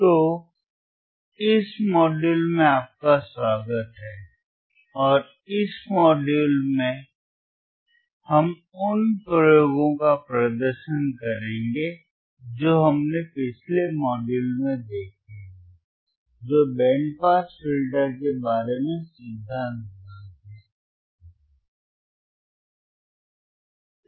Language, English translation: Hindi, So, welcome to this module and in this module, we will be performing the experiments that we have seen in the last module which is the theory part about the band pass filter